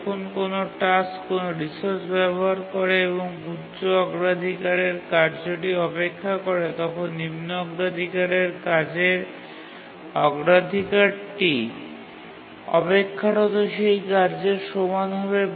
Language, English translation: Bengali, Here a low priority task is holding the resource, a high priority task is waiting for it, and the priority of the low priority task is enhanced to be equal to the priority of the high priority task